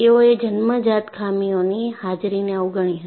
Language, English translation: Gujarati, They ignored the presence of inherent flaws